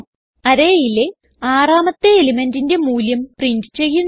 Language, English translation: Malayalam, So We shall print the sixth value in the array